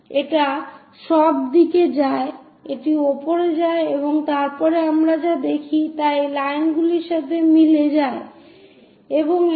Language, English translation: Bengali, It goes all the way up it goes up and after that on top whatever that we see that will be coinciding with these lines and this goes down